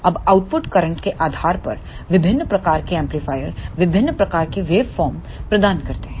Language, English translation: Hindi, Now, depending upon the output current the various type of amplifiers provides various types of waveform